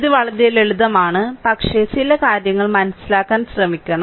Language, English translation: Malayalam, So, things are simple, but we have to try to understand certain things right